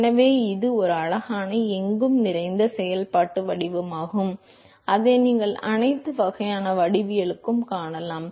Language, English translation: Tamil, So, it is a pretty ubiquitous functional form that you will see in all kinds of geometrics